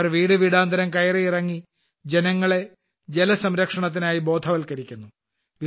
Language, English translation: Malayalam, They go doortodoor to make people aware of water conservation